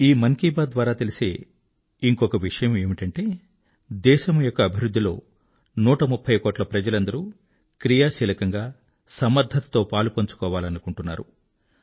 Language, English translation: Telugu, 'Mann Ki Baat' also tells us that a 130 crore countrymen wish to be, strongly and actively, a part of the nation's progress